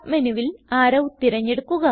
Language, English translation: Malayalam, In the submenu, select Arrow